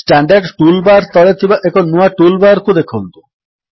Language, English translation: Odia, Notice a new toolbar just below the Standard toolbar